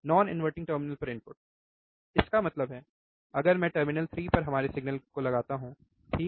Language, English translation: Hindi, The input at non inverting terminal; that means, at terminal 3 if I again apply our signal, right